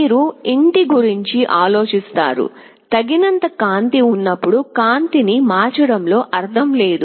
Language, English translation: Telugu, You think of a home, when there is sufficient light there is no point in switching ON the light